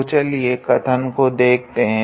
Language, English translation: Hindi, So, let us look at the statement